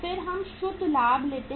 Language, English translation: Hindi, Then we take net profit